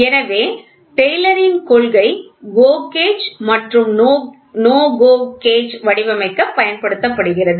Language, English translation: Tamil, So, Taylor’s principle is used for designing GO gauge and NO GO gauge